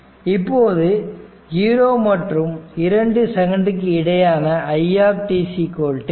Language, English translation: Tamil, Now, we know that in between 0 to 2 second, we know it is equal to c into dvt by dt